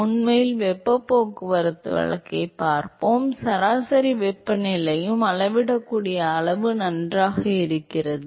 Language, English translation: Tamil, In fact, we will seen heat transport case that the average temperature is also very good measurable quantity alright